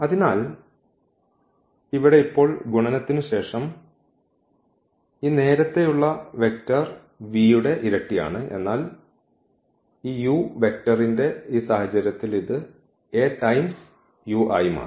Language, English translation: Malayalam, So, here now it is just the double of this earlier vector v after the multiplication, but in this case of this u vector this was the vector u and this A times u has become this one